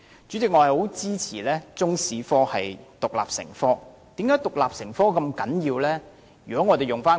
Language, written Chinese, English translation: Cantonese, 主席，我十分支持中國歷史科獨立成科，為甚麼獨立成科如此重要？, President I strongly support teaching Chinese history as an independent subject . Why is it so important to make Chinese History an independent subject?